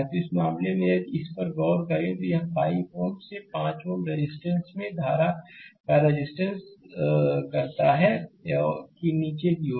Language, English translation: Hindi, So, in this case, if you if you look into this so, that 5 ohm to the 5 ohm resistance the current in the, that I in that I downwards